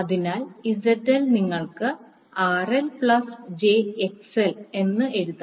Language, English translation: Malayalam, So, ZL you can write as RL plus jXL